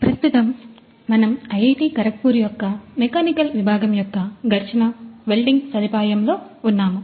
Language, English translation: Telugu, So, right now we are in the friction stir welding facility of the department of Mechanical Engineering at IIT Kharagpur